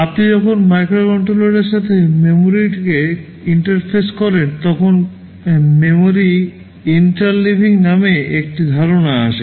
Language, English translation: Bengali, When you interface memory with the microcontroller, there is a concept called memory interleaving